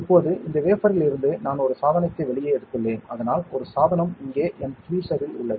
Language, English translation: Tamil, Now, from this wafer I have taken out one device, so that one device is in my tweezer here